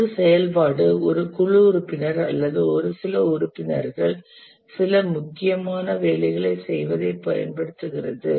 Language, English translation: Tamil, An activity is something using which a team member or a few members get some important work done